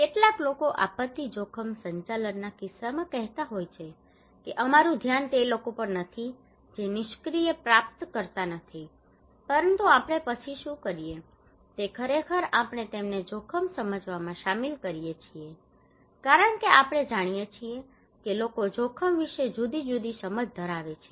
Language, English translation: Gujarati, Some people are saying in case of disaster risk management that our focus is not that people are not passive recipient, but what we do then we actually involve them in understanding the risk because we know people have different understanding of the risk